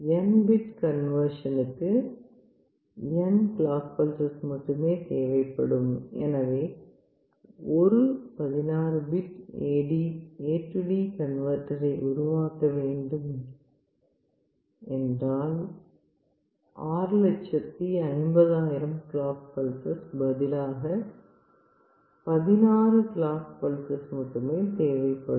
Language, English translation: Tamil, In the sense that for n bit conversion you require only n number of clock pulses and which is very much practical; for a 16 bit AD converter you need no more than 16 clock pulses rather than 65000 clock pulses